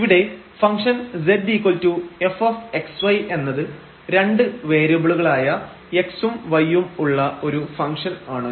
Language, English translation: Malayalam, So, we are making use of that this f is a function of 2 variables x and y